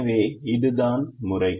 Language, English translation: Tamil, so that is the method